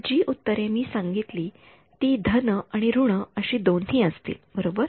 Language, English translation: Marathi, So, the solutions I said I mentioned are both plus and minus right